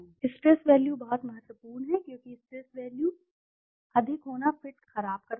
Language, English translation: Hindi, Stress values is very important because the stress values, higher the stress values poor the fit